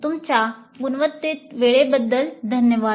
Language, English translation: Marathi, Thank you for your quality time